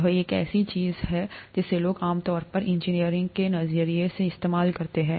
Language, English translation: Hindi, This is something that people normally used from an engineering perspective